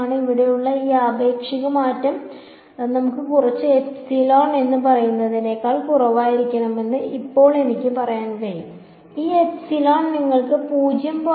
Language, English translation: Malayalam, Now I can say that this relative change over here should be less than let us say some epsilon; this epsilon can be something like you know you know 0